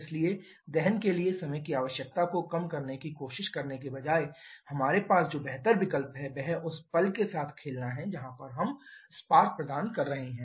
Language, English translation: Hindi, So, instead of trying to reduce the time requirement for combustion the better option that we have is to play around with the instant where we are providing the spark